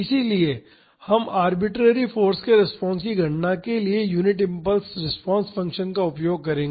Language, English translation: Hindi, So, we will use the unit impulse response function to calculate the response to arbitrary force